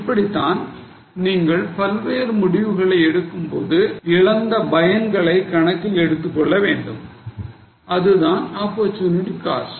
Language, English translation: Tamil, So, that is how for making variety of decisions we need to consider the benefit which you have lost and that is called as an opportunity cost